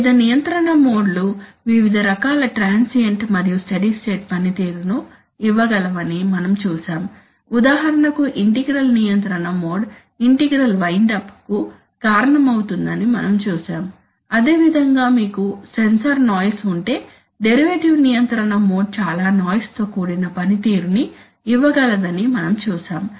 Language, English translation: Telugu, We saw that the various control modes can give you various kinds of transient and steady state performance, for example we have seen that the integral control mode can cause integral wind up, it can cause integral windup's, similarly we have seen that the derivative control mode can give you a lot of noisy performance, if you have sensor noise